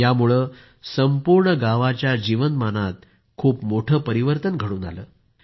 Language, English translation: Marathi, This has brought a big change in the life of the whole village